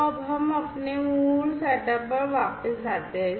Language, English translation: Hindi, So, now, let us go back to our original setup